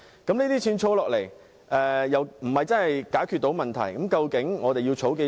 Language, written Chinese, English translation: Cantonese, 這些錢儲下來又不能真正解決問題，究竟我們要儲多少？, The money saved up cannot really solve any problem . How much do we have to save up?